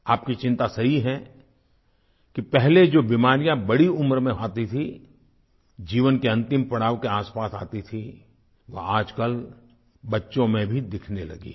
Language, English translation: Hindi, Your concern is correct that the diseases which surfaced in old age, or emerged around the last lap of life have started to appear in children nowadays